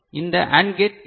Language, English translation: Tamil, What about this AND gate